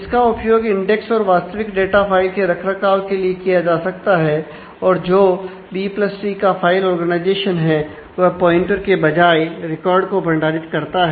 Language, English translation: Hindi, So, it can be used for both maintaining the the index as well as the actual data file and the leaf nodes in the B + tree file organization stored the records instead of pointers